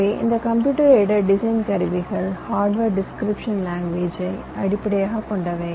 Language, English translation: Tamil, ok, so this computed design tools are based on hardware description languages